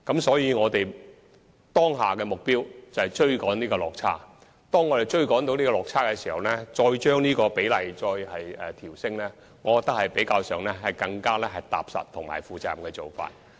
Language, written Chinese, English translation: Cantonese, 所以，我們當下的目標是要追趕這個落差，我認為在能夠趕上這個落差後才把供應比例調升，是較為踏實和負責任的做法。, Therefore our immediate goal is to make up for this shortfall and I consider it more pragmatic and responsible to raise the proportion of public housing in our housing supply target only after this shortfall has already been made up